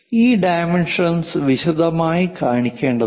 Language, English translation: Malayalam, These dimensions supposed to be in detail one has to show